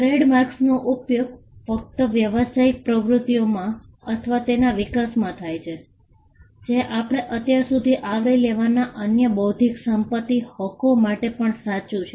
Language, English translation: Gujarati, Trademarks are used solely in business activities or the use or the evolution of trademarks came around in business activities; which is also true to the other intellectual property rights that we have covered so far